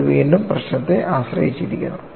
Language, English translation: Malayalam, That is again problem dependent